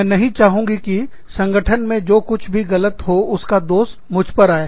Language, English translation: Hindi, I do not want, to the blame of everything, that goes wrong in the organization, to come on me